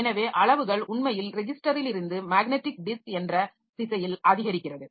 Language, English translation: Tamil, So, sizes actually increasing in the direction from register to magnetic disk